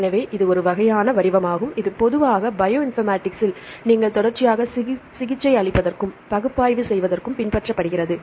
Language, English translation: Tamil, So, this is a kind of format which you adopt in bioinformatics generally for the treating the sequences as well as for our large scale analysis